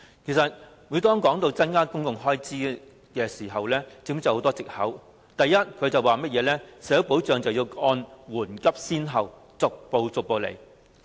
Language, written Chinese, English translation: Cantonese, 其實，每當提到增加公共開支時，政府便諸多藉口，第一是社會保障要按緩急先後，逐步處理。, Actually whenever the Government is asked to increase public expenditure it will give many excuses . First it will say that social security issues must be handled step by step in order of urgency and priority